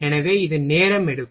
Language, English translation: Tamil, So, it takes time